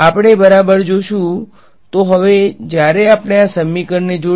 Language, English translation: Gujarati, We will see alright; So now, when we combine these equation